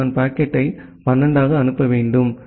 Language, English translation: Tamil, So, I need to forward the packet to as 12